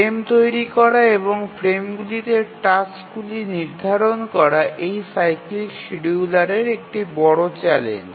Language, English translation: Bengali, Setting up the frame and assigning the tasks to the frames is a major challenge in this cyclic scheduling